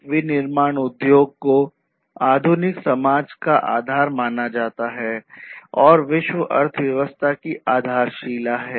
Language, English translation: Hindi, So, a manufacturing industry is considered as a base of modern industrial society and is the cornerstone of the world economy